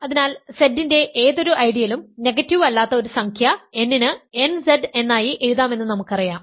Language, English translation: Malayalam, So, we know that any ideal of Z can be written as nZ for a non negative integer n